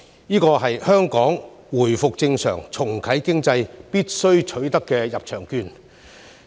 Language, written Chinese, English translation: Cantonese, 為了讓香港回復正常、重啟經濟，我們必須取得這張入場券。, We must obtain this ticket to allow Hong Kong to resume normal operation and restart the economy